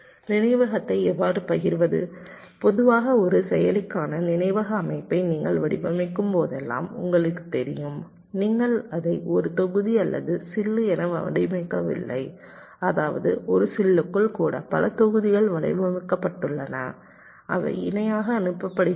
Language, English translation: Tamil, see, you know, whenever you design the memory system for a processor, normally you do not design it as a single block or a chip means mean even within a chip there are multiple blocks which are designed